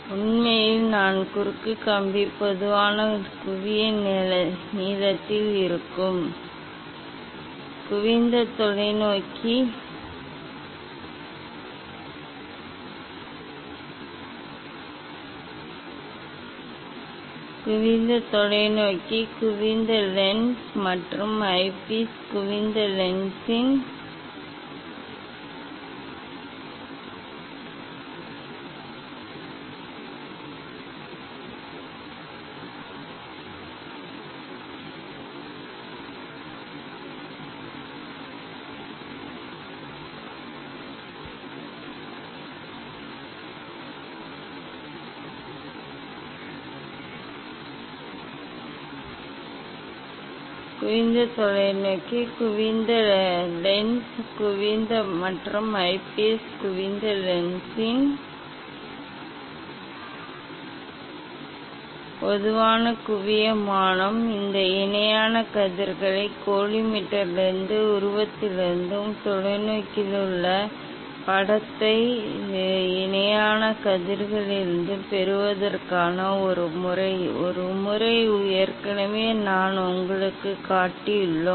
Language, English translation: Tamil, actually, I cross wire will be at the common focal length, common focal plane of the convex telescope convex lens and eyepiece convex lens, for getting these parallel rays from the collimator and the image, image in the telescope from the parallel rays, so there is a method; one method already I have shown you